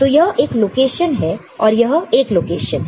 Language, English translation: Hindi, So, this is this location, this is this location, ok